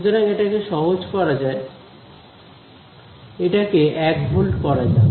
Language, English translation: Bengali, So, let us make that simple, let us even just make it 1 volt